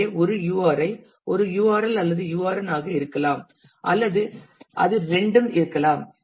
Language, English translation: Tamil, So, a URI can be either a URL or a URN or it could be both